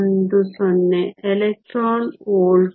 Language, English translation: Kannada, 094 electron volts